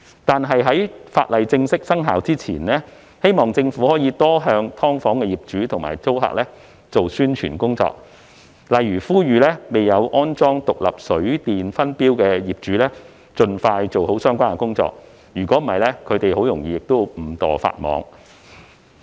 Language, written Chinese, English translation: Cantonese, 但是，在法例正式生效前，我希望政府可以向"劏房"業主及租客多做宣傳工作，例如呼籲未有安裝獨立水電分錶的業主，盡快做好相關工作，否則他們很容易便會誤墮法網。, However before the legislation formally comes into operation I hope that the Government can step up publicity efforts to remind landlords and tenants of SDUs such as urging the landlords to install separate water and electricity meters as soon as possible if they have not done so otherwise they may breach the law inadvertently